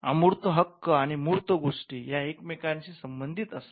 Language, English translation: Marathi, Now, intangible rights and tangible things are connected